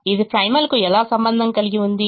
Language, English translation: Telugu, how is it related to the primal